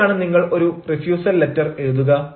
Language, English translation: Malayalam, how should you write a refusal letter